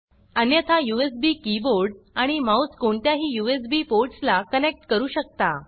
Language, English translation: Marathi, Alternately, you can connect the USB keyboard and mouse to any of the USB ports